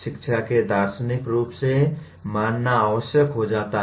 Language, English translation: Hindi, This becomes necessary to consider education philosophically